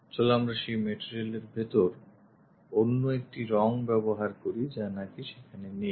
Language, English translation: Bengali, Let us use other color inside of that material is not present